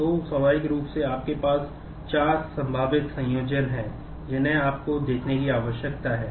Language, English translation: Hindi, So, naturally you have four possible combinations that you need to look at